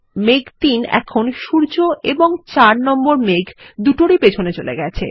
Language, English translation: Bengali, Cloud 3 is now behind both the sun and cloud 4